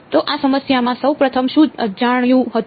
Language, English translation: Gujarati, So, first of all in this problem what was unknown